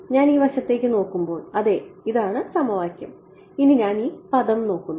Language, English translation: Malayalam, When I look at this side ok so, this is the equation and I want to look at this term ok